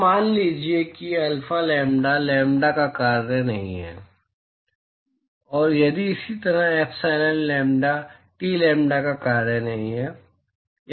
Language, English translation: Hindi, So, suppose alpha lambda is not a function of lambda, and similarly if epsilon lambda,T is not a function of lambda